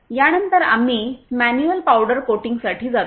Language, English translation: Marathi, After that we go for manual powder coating